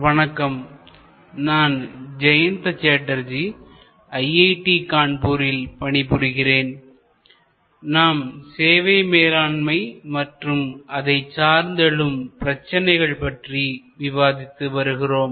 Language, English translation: Tamil, Hello, this is Jayanta Chatterjee from IIT, Kanpur and we are discussing Managing Services contemporary issues